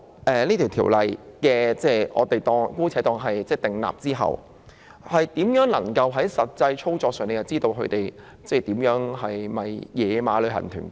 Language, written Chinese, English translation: Cantonese, 假設《條例草案》獲得通過，我們如何能夠從實際操作知道哪些是"野馬"旅行團？, Assuming that the Bill is passed how can we tell from actual operation which tour groups are unauthorized?